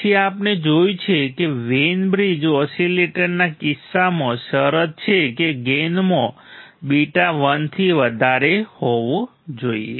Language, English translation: Gujarati, Then we have seen then in the case of Wein bridge oscillator the gain into beta right that the condition should be greater than equal to 1